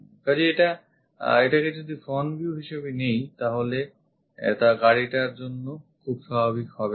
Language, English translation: Bengali, So, if we are picking this one as the front view this is not very natural for this car